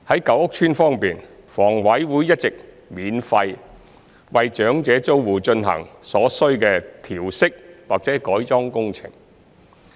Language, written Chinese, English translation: Cantonese, 舊屋邨方面，房委會一直免費為長者租戶進行所需的調適或改裝工程。, Regarding the old housing estates HA has undertaken necessary modification or adaptation works for elderly tenants free of charge